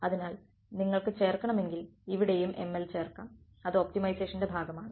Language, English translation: Malayalam, So, if you want to add you can add ml over here also that is a part of optimization any